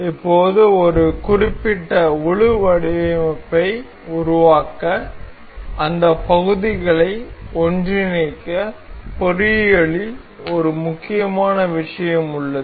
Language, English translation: Tamil, So, now there is an important thing in engineering to assemble those parts to make one particular full design that may be used